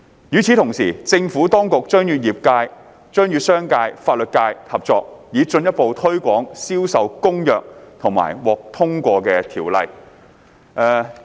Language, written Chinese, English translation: Cantonese, 與此同時，政府當局將與商界及法律界合作，以進一步推廣《銷售公約》及獲通過的條例。, In the meantime the Administration will work with the business and legal sectors to further promote CISG and the enacted Ordinance